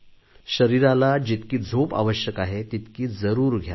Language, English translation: Marathi, Ensure adequate sleep for the body that is required